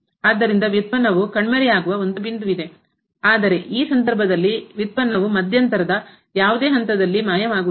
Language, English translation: Kannada, So, there is a point where the derivative vanishes whereas, in this case the derivative does not vanish at any point in the interval